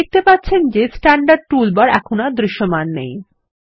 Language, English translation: Bengali, You see the Standard toolbar is no longer visible